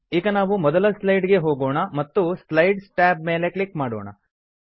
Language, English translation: Kannada, Lets go to the first slide and click on the Notes tab